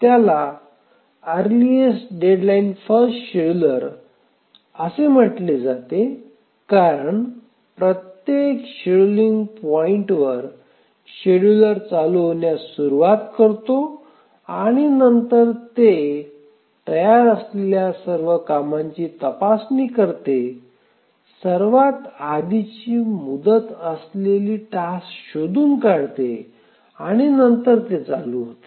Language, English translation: Marathi, I hope this point is clear why it is called as the earliest deadline first scheduler because every scheduling point the scheduler starts running and then it checks all the tasks that are ready, finds out the task that has the earliest deadline and then starts to run it